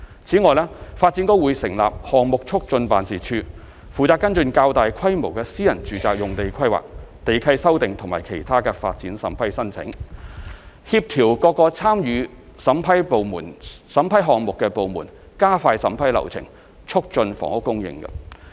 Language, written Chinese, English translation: Cantonese, 此外，發展局將會成立項目促進辦事處，負責跟進較大規模的私人住宅用地規劃、地契修訂和其他發展審批申請，協調各個參與審批項目的部門加快審批流程，促進房屋供應。, In addition DEVB will set up the Development Projects Facilitation Office DPFO to facilitate the processing of planning lease modification and other development approval applications for larger - scale private residential sites . DPFO will coordinate with departments involved to expedite the approval process with a view to increasing housing supply